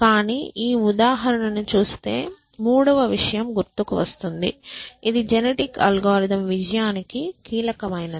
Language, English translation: Telugu, But looking at this example there is a third thing which would come to mind which is crucial for the success of genetic algorithm